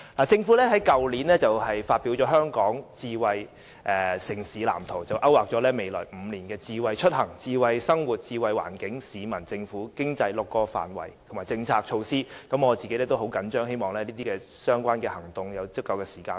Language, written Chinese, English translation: Cantonese, 政府於去年發表《香港智慧城市藍圖》，勾劃了未來5年的智慧出行、智慧生活、智慧環境、智慧市民、智慧政府及智慧經濟6個範圍，以及各項政策措施，我對此也十分着緊，希望相關的行動設有時間表。, Last year the Government released the Smart City Blueprint for Hong Kong mapping out the policies and measures to be implemented in the next five years in six areas namely smart mobility smart living smart environment smart people smart government and smart economy . Taking the Blueprint very seriously I hope that there will be a timetable for the actions to be taken